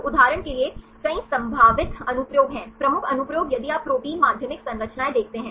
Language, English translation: Hindi, So, there are several potential applications for example, the major applications if you see protein secondary structures